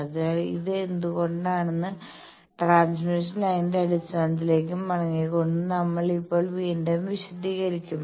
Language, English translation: Malayalam, So, we will explain now again going back to the basics of transmission line that why this is